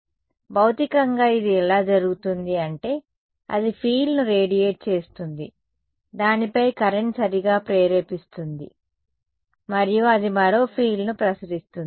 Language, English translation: Telugu, So, how does this what will happen physically is, this guy radiates a field, current is induced on it right and then that in turn will radiate another field ok